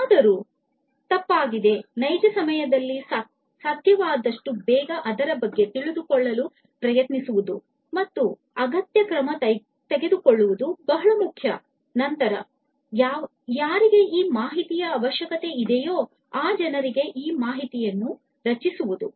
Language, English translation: Kannada, If something has gone wrong trying to know about it as quickly as possible in real time and taking the requisite action is very important and then generating alert messages for the for the people, who actually need to have this information